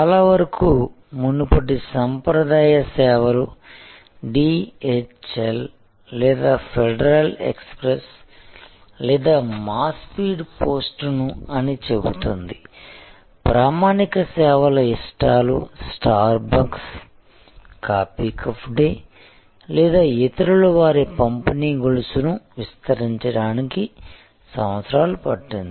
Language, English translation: Telugu, So, earlier traditional services light say DHL or federal express or our speed post, traditional services likes say star bucks, coffee cafe day or others took years to expand their distribution chain took years they had to go from one city to the other city, go from one country to the other country